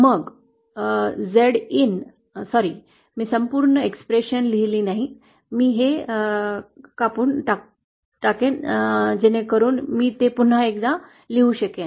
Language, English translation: Marathi, Then Z in, sorry I didn’t write the whole expression, I will cut this down I’ll just do it so that I can write it once again